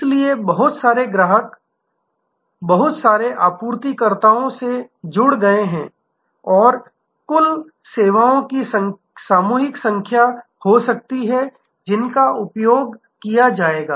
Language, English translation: Hindi, So, lot of customers can connect to lot of suppliers and there can be number of aggregated services, which will be utilized